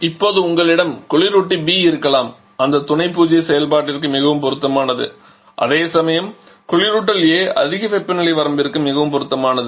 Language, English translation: Tamil, Now you may have the refrigerant B which is more suitable for that Sub Zero operation whereas refrigerant A is more suitable for the high temperature range